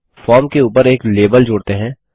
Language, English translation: Hindi, Now, let us add a label above the form